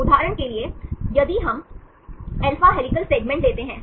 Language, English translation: Hindi, For example, if we take alpha helical segment